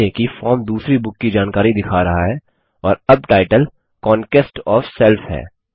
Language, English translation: Hindi, Notice that the form shows the second books information and the title is now Conquest of self